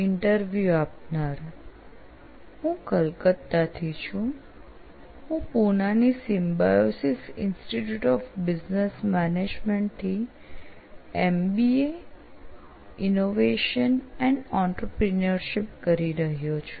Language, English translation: Gujarati, I am from Calcutta, so I am perceiving MBA Innovation and Entrepreneurship from Symbiosis Institute of Business Management, Pune